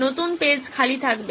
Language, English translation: Bengali, New page would be blank